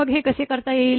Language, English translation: Marathi, So, how one can do it